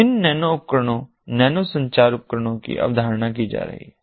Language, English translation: Hindi, so these nano devices, nano communication devices, are being conceptualized